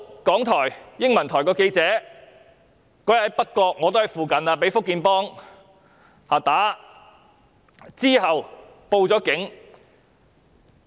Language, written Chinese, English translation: Cantonese, 港台英文台有記者當天在北角——我自己亦身在附近——被"福建幫"毆打，其後報警。, That day a journalist from RTHKs English channel was beaten up by Fujian gangsters in North Point―I was also nearby―and he made a report to the Police afterwards